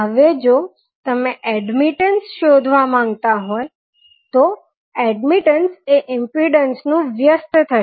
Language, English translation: Gujarati, Now, if you want to find out the admittance, admittance would be the reciprocal of the impedance